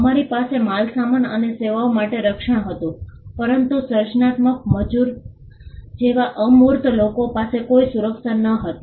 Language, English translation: Gujarati, We had protection for goods and services, but there was no protection for the intangibles like creative labour